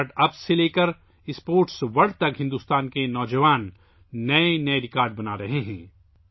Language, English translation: Urdu, From StartUps to the Sports World, the youth of India are making new records